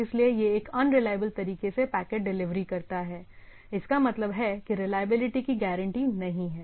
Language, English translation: Hindi, So, it’s a, it delivers packet in a unreliable way means that reliability is not guaranteed